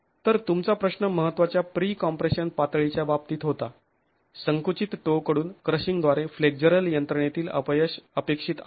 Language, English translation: Marathi, Okay, so your question was in the case of significant pre compression levels, failure in a flexual mechanism is expected by the crushing of the compressed toe